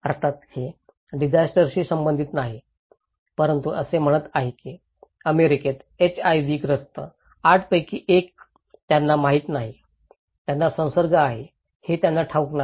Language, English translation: Marathi, Of course, it is not related to disaster but it’s saying that 1 in 8 living with HIV in US they don’t know, they don’t know that they are infected